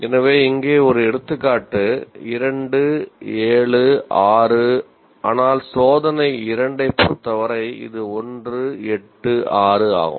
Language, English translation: Tamil, So, here is an example, 276, whereas for test two, it is 186